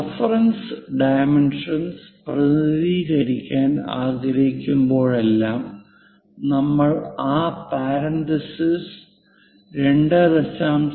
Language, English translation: Malayalam, Whenever, we would like to represents reference dimensions we use that parenthesis and 2